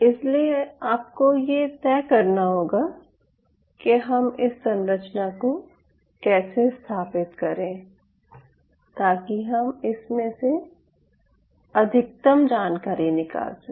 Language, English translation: Hindi, so one has to make a call that how we are going to set up the structure so that we can extract the maximum information out of it